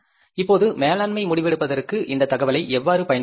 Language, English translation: Tamil, Now, how to use this information for the management decision making